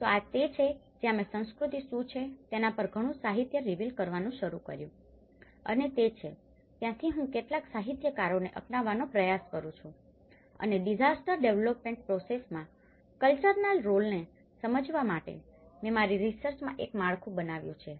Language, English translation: Gujarati, So, this is where when I started revealing a lot of literature on what is culture and that is where I try to adopt certain literatures and made a framework in my research, in order to understand the role of culture, in the disaster development process